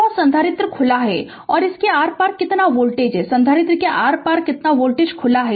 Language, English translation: Hindi, And capacitor is open, then what is the voltage across this what is the voltage across capacitor is open